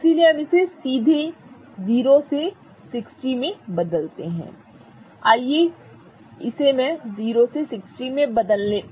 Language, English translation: Hindi, So, we directly change it from 0 to 60